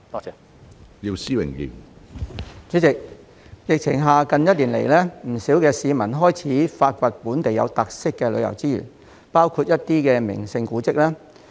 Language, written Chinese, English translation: Cantonese, 主席，在疫情下，不少市民近1年來開始發掘本地有特色的旅遊資源，包括一些名勝古蹟。, President due to the impact of the pandemic quite many people have over the past year started to look for local distinctive tourism resources including scenic spots and monuments